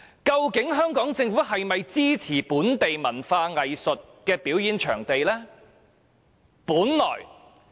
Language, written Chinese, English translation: Cantonese, 究竟香港政府是否支持興建本地文化藝術表演場地呢？, Does the Government of Hong Kong support the building of performing venues for local culture and arts?